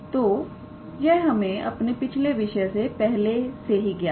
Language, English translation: Hindi, So, this is we know already from our previous topics